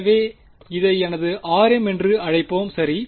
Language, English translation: Tamil, So, we can call this as r m